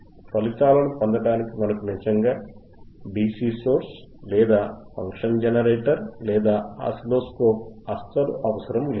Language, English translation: Telugu, 3 things ,we have DC power supply, function generator, and oscilloscope